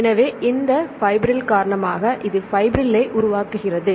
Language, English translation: Tamil, So, it tends to form fibrils right because of this fibril